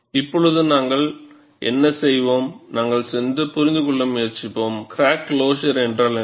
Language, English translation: Tamil, Now, what we will do is, we will try to go and understand, what is crack closure